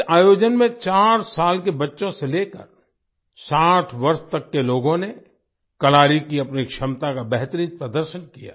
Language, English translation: Hindi, In this event, people ranging from 4 years old children to 60 years olds showed their best ability of Kalari